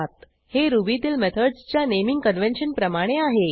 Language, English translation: Marathi, This is based on the method naming convention of Ruby